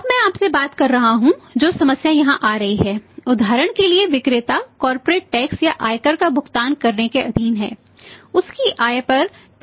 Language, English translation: Hindi, Now I was talking to you the problem now it has come up here income tax we assuming here is for example the seller has to pay seller subject to pay a corporate tax or the income tax or the tax on his income is say 45% at the rate of 45%